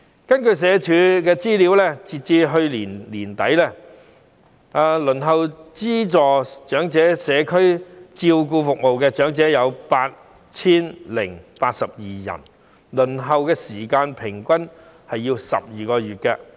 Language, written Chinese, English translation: Cantonese, 根據社會福利署的資料顯示，截至去年年底，輪候資助長者社區照顧服務的長者有 8,082 人，平均輪候時間為12個月。, According to the information of the Social Welfare Department SWD as at the end of last year 8 082 elderly persons were waiting for subsidized community care services for the elderly and the average waiting time was 12 months